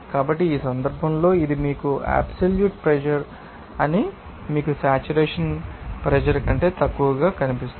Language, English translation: Telugu, So, in this case of course, that this you know absolute pressure will be you know less than saturated pressure